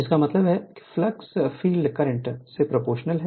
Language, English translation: Hindi, So, we know that flux is proportional to the field current